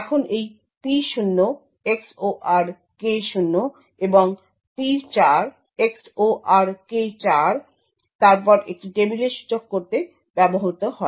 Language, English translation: Bengali, Now this P0 XOR K0 and P4 XOR K4 is then used to index into a table